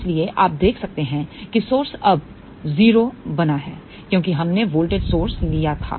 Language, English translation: Hindi, So, you can see that source is now made 0, since we had taken a voltage source